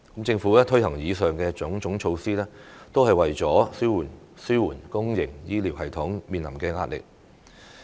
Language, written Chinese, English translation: Cantonese, 政府推行以上種種措施，都是為了紓緩公營醫療系統面臨的壓力。, The aforesaid measures implemented by the Government all aim at alleviating the pressure faced by the public health care system